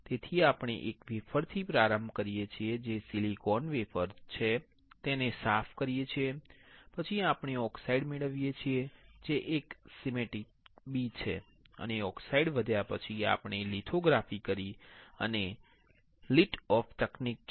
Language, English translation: Gujarati, So, we start with a wafer which is silicon wafer we clean it, then we grow oxide which is a schematic b and after growing oxide, we performed lithography and this is liftoff technique